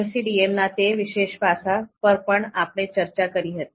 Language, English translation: Gujarati, So that particular aspect of MCDM was also discussed